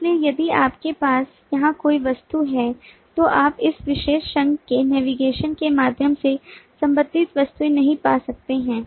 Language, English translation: Hindi, so the object, if you have an object here, you cannot find the associated object through navigation of this particular association